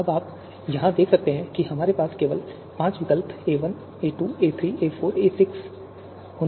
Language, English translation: Hindi, Now you can see here we just have the five alternatives, a1, a2, a3, a4 and a6